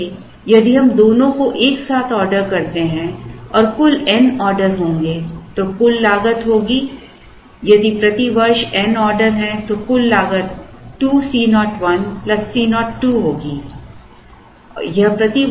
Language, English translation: Hindi, So, if we order both together and there are n orders the total cost will be, if there n orders per year, then the total cost will be n into 2 times C 0 1 plus C 0 2